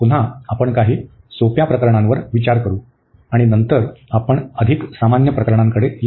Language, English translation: Marathi, Again we will consider a some simple cases and then later on we will come to the more general cases